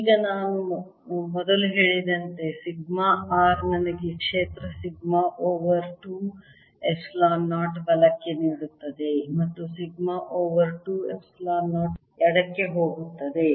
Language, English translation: Kannada, now sigma r, as i said earlier, gives me a field: sigma over two epsilon zero going to the right and sigma over two epsilon zero going to the left